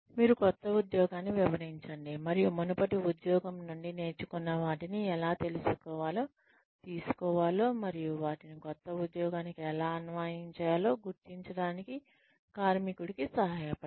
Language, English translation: Telugu, You, explain the new job and help the worker figure out, how one can take the learnings, from the previous job, and apply them, to the new job